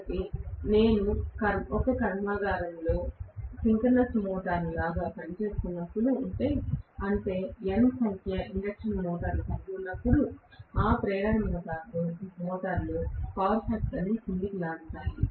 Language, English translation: Telugu, So, when I was a synchronous motor in a factory, which is, you know, having N number of induction motors, all those induction motors will pull down the power factor